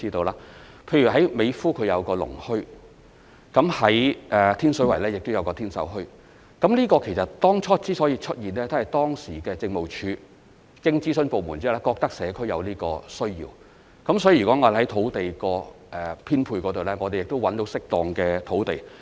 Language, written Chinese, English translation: Cantonese, 例如美孚有個農墟，天水圍亦有天秀墟，其實，這墟市當初所以會出現，是當時民政事務總署經諮詢相關部門後，認為社區有這個需要，所以，如果我們找到適當的土地作編配......, Take the farmers market in Mei Foo and Tin Sau Bazaar in Tin Shui Wai as examples . Actually the latter was first set up because the Home Affairs Department HAD considered that this was what the community needed upon consultation with relevant departments back then . So if we are able to identify suitable sites to be allocated for because there are certain requirements that a site for flea market use needs to meet